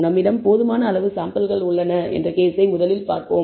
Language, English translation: Tamil, We will first look at the case of where we have sufficient number of samples